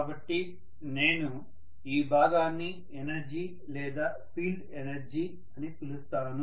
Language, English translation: Telugu, So we call this as the field energy